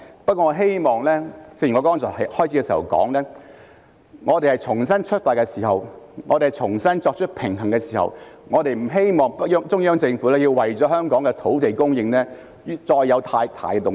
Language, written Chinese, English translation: Cantonese, 不過，正如我剛才在開始時提到，我們在重新出發、重新作出平衡的時候，我們不希望中央政府要為了香港的土地供應再有太大動作。, But as I said at the outset when we make a new start or try to strike a balance again it is not our wish to see drastic actions taken by the Central Authorities again to address the land supply in Hong Kong